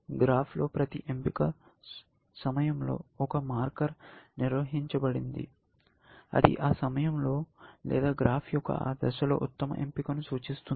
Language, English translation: Telugu, In the graph, I maintained at every choice point, a marker, which marks the best choice at that point, essentially, or at that stage of the graph